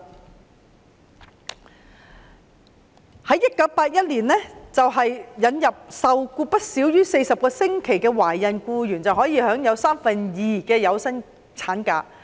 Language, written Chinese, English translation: Cantonese, 直至1981年，政府又引入受僱不少於40個星期的懷孕僱員可以享有三分之二有薪產假。, Subsequently in 1981 the Government introduced an ML pay at two thirds of the wages of pregnant employees who had been employed for no less than 40 weeks